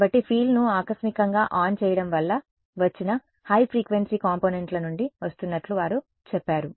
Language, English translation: Telugu, So, that they says coming from the high frequency components that came as a result of turning the field on abruptly